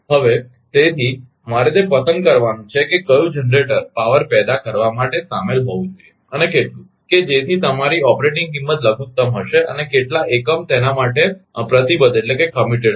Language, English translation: Gujarati, So, therefore, I have to pickup that which generator should involved to generate power and how much, such that your my operating cost will be minimum and, how many units will be committed for that right